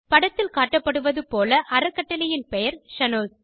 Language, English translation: Tamil, In the image shown, the name of the trust is Shanoz